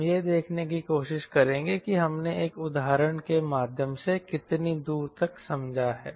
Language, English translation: Hindi, we will try to see how far we have understood what is the method through an example